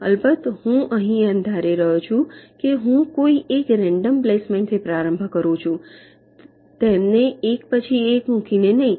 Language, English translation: Gujarati, of course, here i am assuming that i am starting with some kind of a random placement, not placing them one by one